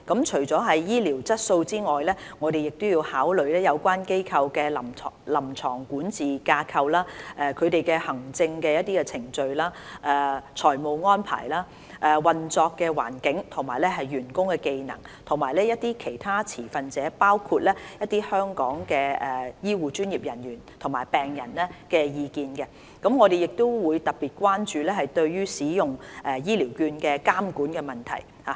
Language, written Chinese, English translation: Cantonese, 除了醫療質素外，我們亦要考慮有關機構的臨床管治架構、行政程序、財務安排、運作環境及員工技能，以及其他持份者的意見。我們亦特別關注對於使用醫療券的監管問題。, In addition to the quality of health care we also need to consider the clinical governance structure administrative procedures financial arrangement operating environment and employee skills of the institution concerned as well as the views of other stakeholders